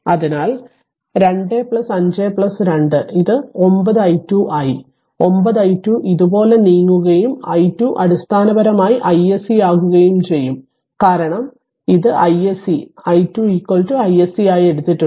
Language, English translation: Malayalam, So, 2 plus 5 plus 2 so, it will be 9 i 2 moving like this 9 i 2 and then and your i 2 basically is equal to i SC, because this is i SC we have taken i 2 is equal to i s c